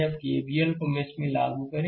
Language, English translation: Hindi, Now I apply KVL in mesh 4